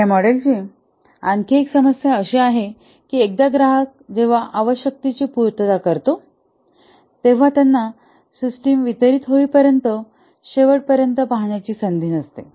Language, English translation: Marathi, Another problem with this model is that once the customer gives the requirement they have no chance to see the system till the end when it is delivered to them